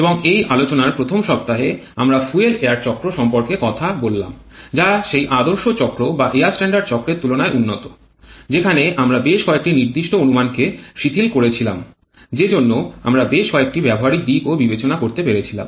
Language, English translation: Bengali, Now in the first week of this lecture we have talked about the fuel air cycle which is an improvement over those ideal cycles or air standard cycles where we relaxed quite a few certain assumptions they are way allowing us to take care of several practical considerations